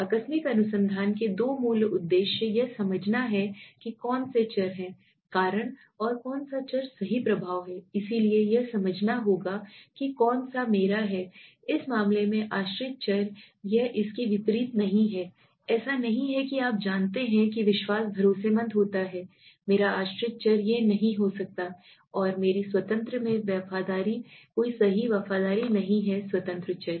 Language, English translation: Hindi, Two basic objectives of casual research is to understand which variables are the cause and which variables are the effect right so it is one has to understand which is my dependent variable in this case it is not vice versa it is not that you know trust becomes trust is my dependent variable it cannot be and loyalty in my independent no right loyalty is my independent variable